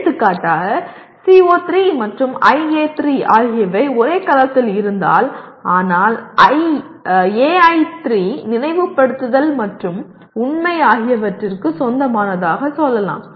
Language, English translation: Tamil, For example if CO3 and IA3 are in the same cell but AI3 somehow belongs to let us say Remember and Factual